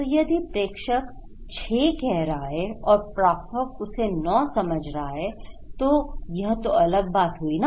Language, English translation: Hindi, So, if the sender is saying 6 and receiver perceives as 9 is different right